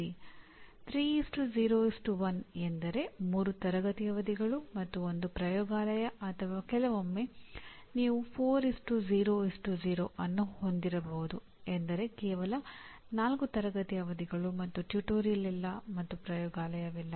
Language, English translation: Kannada, 3:0:1 means 3 classroom sessions and 1 laboratory or sometimes not too often that you have 4:0:0 that means 4 classroom sessions and no tutorial and no laboratory